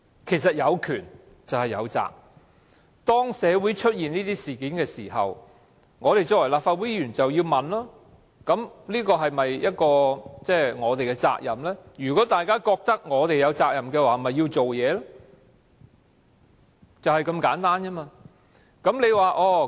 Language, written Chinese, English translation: Cantonese, 事實上，有權便有責，當社會出現這些事件的時候，我們作為立法會議員便要問大家是否有責任，而如果大家都認為有責任，便要採取行動，就是這麼簡單。, In fact powers go with responsibilities . When similar incident occurs Members of the Legislative Council should ask ourselves if we have the responsibility; if all of us agree that we have the responsibility then actions should be taken . It is just that simple